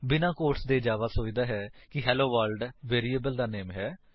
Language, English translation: Punjabi, Without the quotes, Java thinks that HelloWorld is the name of a variable